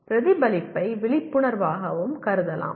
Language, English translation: Tamil, Reflection can also be considered as awareness